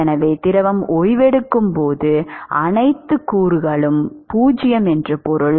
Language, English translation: Tamil, So, when fluid is resting it means that all the components are 0